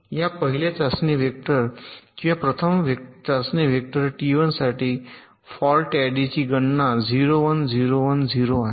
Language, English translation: Marathi, for this first test vector, or first test vector, t one is zero, one, zero, one zero